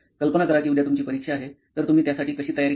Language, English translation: Marathi, Imagine you have an exam coming up the next day, but what would be your preparation for it